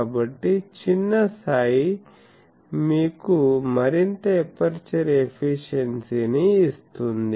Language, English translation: Telugu, So, smaller psi will give you more aperture efficiency